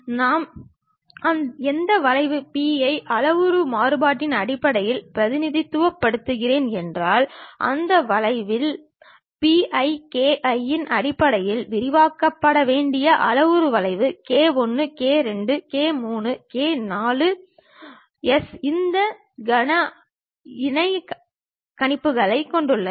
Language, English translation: Tamil, If I am representing it in terms of parametric variation the P any point P, on that curve the parametric curve supposed to be expanded in terms of P i k i where k 1 k 2 k 3 k 4s have this cubic interpolations